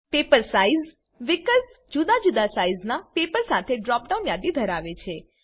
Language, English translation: Gujarati, Paper size field has a drop down list with different paper sizes